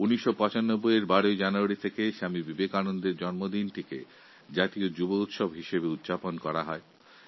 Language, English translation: Bengali, Since 1995, 12th January, the birth Anniversary of Vivekananda is celebrated as the National Youth Festival